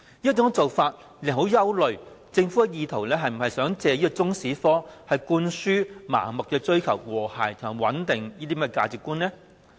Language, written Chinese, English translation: Cantonese, 這種做法令人憂慮政府是否意圖藉中史科向學生灌輸盲目追求和諧、穩定的價值觀呢？, People are thus worried whether the Government is attempting to instill through Chinese History the value of indiscriminate pursuance of harmony and stability